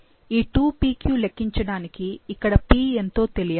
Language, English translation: Telugu, To calculate 2pq, we need to what is p here